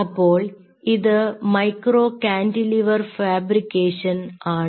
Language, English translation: Malayalam, so this is how a micro cantilever system looks like